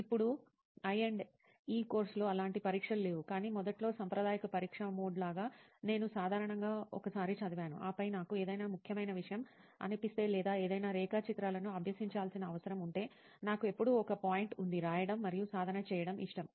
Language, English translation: Telugu, Now in I&E course, there are no exam as such, but initially like the conventional exam mode, I would usually read once and then if I feel something important or if I need to practice any diagrams, I always had a, made it a point to like write and practice